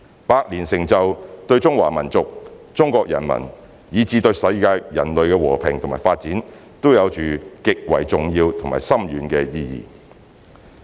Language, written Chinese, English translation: Cantonese, 百年成就對中華民族、中國人民，以至對世界人類和平與發展都有着極為重要和深遠的意義。, The achievements accomplished in the past century have significant and far - reaching implications on the Chinese nation and people as well as the peace and development of the world and mankind